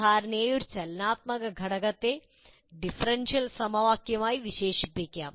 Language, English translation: Malayalam, And normally a dynamic element can be described as a differential equation